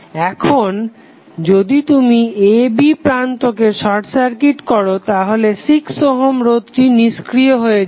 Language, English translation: Bengali, Now, when you have this terminal a, b short circuited the 6 ohm resistance will become irrelevant